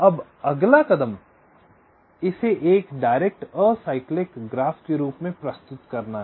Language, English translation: Hindi, now the next step is to model this as a direct acyclic graph